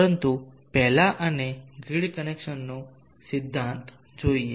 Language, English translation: Gujarati, But first let us look at thee principle of grid connection